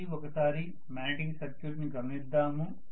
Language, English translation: Telugu, Let us try to look at the magnetic circuit again